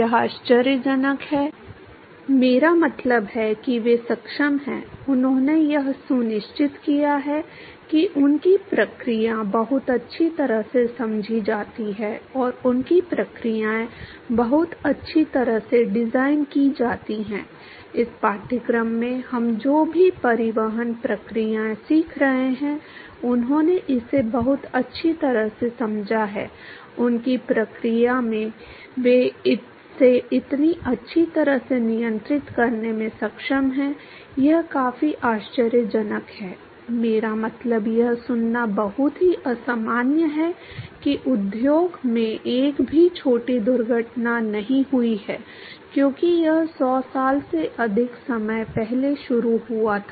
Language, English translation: Hindi, That is amazing I mean they are able to, they have made sure that their processes are so very well understood and their processes are so very well designed, whatever transport processes we have been learning in this course, they have understood it so very well for their process they are able to control it so very well, that is quite amazing I mean it is very unusual to hear that there is not even a single small accident in the industry since it is inception more than 100 years ago